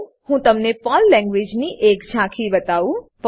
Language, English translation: Gujarati, Let me give you an overview of PERL Language